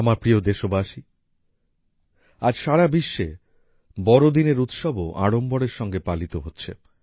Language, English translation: Bengali, My dear countrymen, today the festival of Christmas is also being celebrated with great fervour all over the world